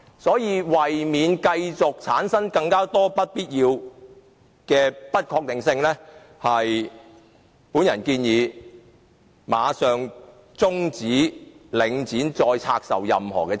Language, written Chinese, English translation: Cantonese, 所以，為免繼續產生更多不必要的不確定性，我建議馬上終止領展將任何資產部分再拆售予私人市場的活動。, Hence in order to avoid additional uncertainty unnecessarily I recommend that further divestment activities of any part of assets to the private sector by Link REIT should be terminated immediately